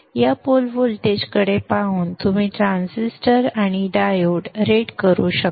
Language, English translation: Marathi, So looking at this pole voltage you can rate the transistor and the time